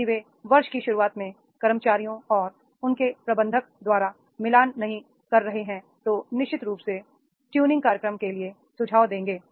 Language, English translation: Hindi, If they are not matching by the employees and his manager in the beginning of the year, then then definitely there will be the suggestions for the training programs